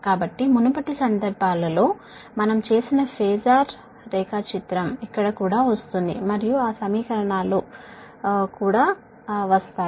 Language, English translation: Telugu, so whatever phasor diagram we have made in the previous cases, here also we will come, and those equations we will come